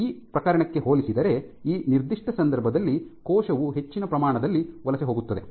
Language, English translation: Kannada, So, you would imagine that in this particular case the cell would migrate to a greater extent compared to this case